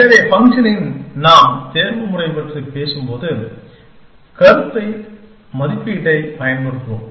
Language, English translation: Tamil, So, in the process when we are talking of optimization, we will use the notion evaluation